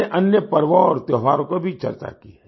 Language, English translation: Hindi, We also discussed other festivals and festivities